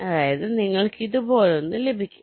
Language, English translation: Malayalam, that means you will get something like this